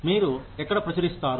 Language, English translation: Telugu, Where you publish